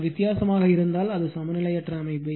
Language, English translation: Tamil, I mean if one is different slightly, then it is unbalanced system